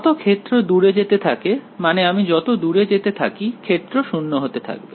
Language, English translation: Bengali, As the field goes far away, I mean as I go far away the field should go to 0